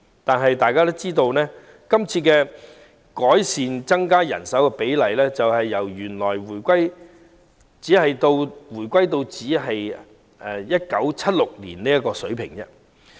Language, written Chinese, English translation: Cantonese, 但大家也知道，這項增加人手比例的改善措施只是回到1976年的水平。, However we are aware that such an enhancement measure to increase the manning ratios has brought us back to the 1976 level only